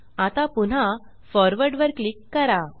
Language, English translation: Marathi, Now, click on Forward again